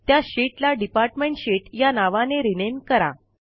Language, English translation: Marathi, Rename the sheet to Department Sheet